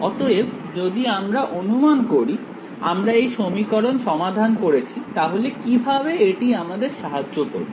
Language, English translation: Bengali, So, supposing even if suppose, we solve this equation how will this help us